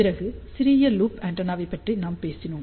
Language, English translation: Tamil, And in the beginning I will focus on only a small loop antenna